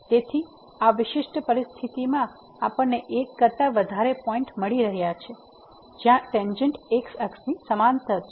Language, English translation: Gujarati, So, in this particular situation we are getting more than one point where the tangent is parallel to the